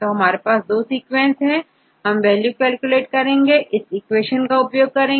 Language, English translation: Hindi, So, I have the 2 sequences; now you can calculate the values, right using this equation or what is n